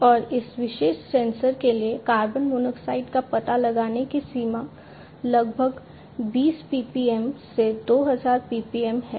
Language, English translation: Hindi, And the detecting range for carbon monoxide for this particular sensor is about 20 ppm to 2,000 ppm